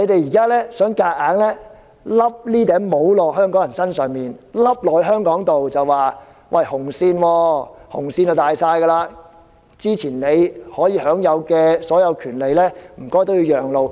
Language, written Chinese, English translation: Cantonese, 中共想強硬地把帽子套到香港人和香港身上，又說紅線最大，先前享有的所有權利也要讓路。, CPC has forcibly imposed its rules on Hong Kong people and Hong Kong . All the rights previously enjoyed by Hong Kong people have to give way to the red line which is supreme